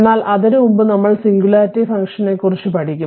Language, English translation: Malayalam, So, before that little bit we were learn about we will learn about singularity function